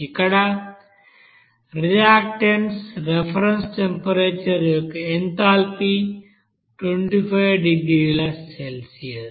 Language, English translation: Telugu, So we say that here enthalpy of reactants reference temperature is 25 degree Celsius